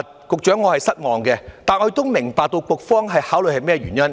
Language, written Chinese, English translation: Cantonese, 局長，我是失望的，但亦明白局方考慮到甚麼原因。, Secretary I am disappointed yet I see the reason behind the Bureaus consideration